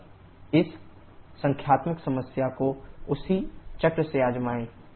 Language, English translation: Hindi, Just try this numerical problem the same cycle